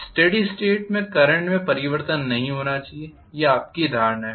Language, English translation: Hindi, At steady state the current should not change is your perfection